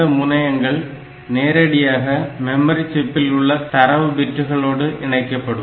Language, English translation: Tamil, So, this is straightaway connected to the data bits of the memory chip